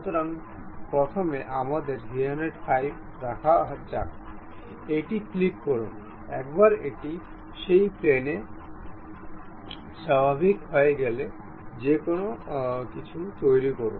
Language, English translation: Bengali, So, first let us keep 315, click ok; once it is done normal to that plane, construct anything